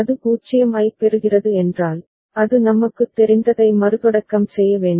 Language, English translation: Tamil, If it is receiving 0, then it has to restart that we know